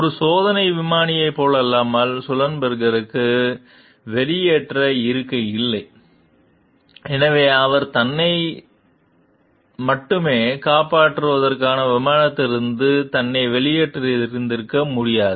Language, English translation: Tamil, Unlike a test pilot, Sullenbenger did not have an ejection seat, so he could not have ejected himself from the aircraft to save only himself